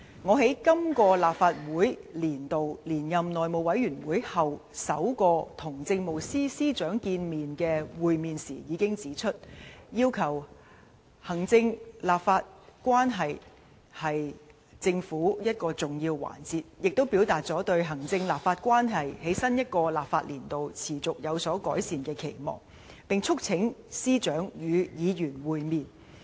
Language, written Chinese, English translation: Cantonese, 我在今個立法年度連任內務委員會主席後，首次與政務司司長會面時已指出，行政立法關係是政府的一個重要環節，亦表達了對行政立法關係在新一個立法年度持續有所改善的期望，並促請司長與議員會面。, During the first meeting with the Chief Secretary after I was re - elected Chairman of the House Committee in this legislative year I pointed out that executive - legislature relationship was an integral part of the government . I also expressed my hope that the executive - legislature relationship would continue to improve in the new legislative year and urged Secretaries of Departments to meet with Members